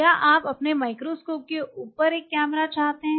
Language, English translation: Hindi, Do you want a camera on top of your microscope